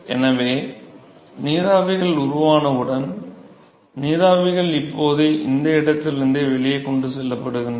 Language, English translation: Tamil, So, therefore, as soon as the vapors are formed the vapors are now transported out from that location